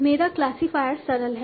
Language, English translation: Hindi, My classify is simple